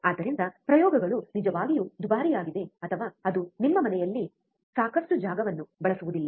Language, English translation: Kannada, So, do not do experiments are really costly or which consumes lot of space in your home